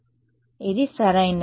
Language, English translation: Telugu, So, its correct